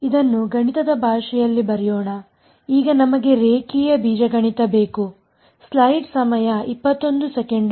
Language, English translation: Kannada, Let us to put this in the language of math we need linear algebra now ok